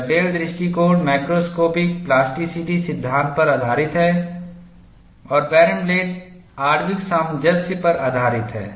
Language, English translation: Hindi, Dugdale approach is based on macroscopic plasticity theory and Barenblatt is based on molecular cohesion